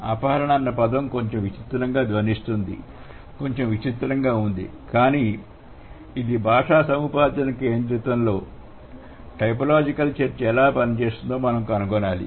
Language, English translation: Telugu, So, abduction, it sounds a little weird but then we have to find out how it works in a language acquisition centric typological discussion